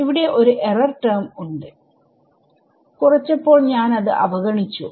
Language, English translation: Malayalam, There is an error term over here which I am ignoring when I subtract